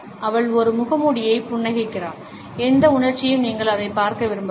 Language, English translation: Tamil, She smiles just a mask, whatever emotion she does not want you to see it